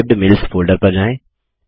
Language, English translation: Hindi, Lets go to the Saved Mails folder